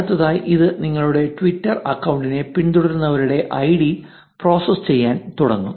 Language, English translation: Malayalam, Next, it will start processing the ids of the followees of your twitter account